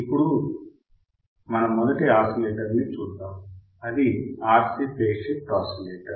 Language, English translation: Telugu, Now, let us see first oscillator that is our RC phase shift oscillator RC phase shift oscillators